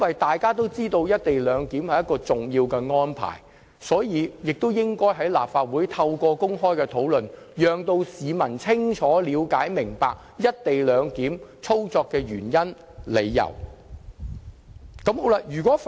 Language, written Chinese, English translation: Cantonese, 大家也知道，"一地兩檢"屬重要安排，所以有必要透過立法會的公開討論，讓市民清楚了解"一地兩檢"操作的原因。, As we all know co - location is an important arrangement it is therefore essential to enable members of the public to have a clear understanding of the rationale behind the co - location arrangement through an open discussion in the Legislative Council